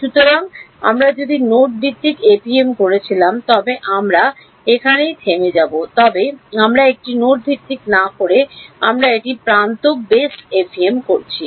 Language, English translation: Bengali, So, if we were doing node based FEM we would stop here, but we are not doing a node based we are doing an edge base FEM